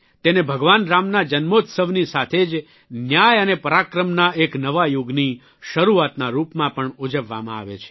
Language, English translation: Gujarati, It is also celebrated as the birth anniversary of Lord Rama and the beginning of a new era of justice and Parakram, valour